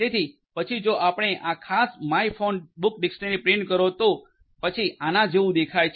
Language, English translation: Gujarati, So, then if you; if you print this particular my phonebook dictionary, then this is how it is going to look like